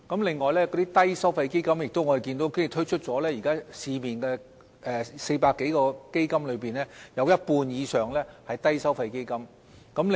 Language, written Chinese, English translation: Cantonese, 另外，關於低收費基金，我們亦看到現時在市面推出的400多個基金中，有一半以上都是低收費基金。, In regard to low fee funds we also notice that among the 400 - odd funds in the present market over half of them are low fee funds